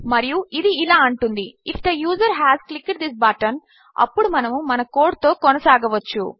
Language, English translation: Telugu, And this will say if the user has clicked this button, then we can carry on with our code